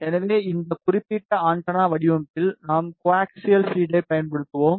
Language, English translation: Tamil, So, in this particular antenna design we will be using co axial feed